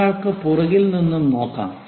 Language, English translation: Malayalam, One can look from back also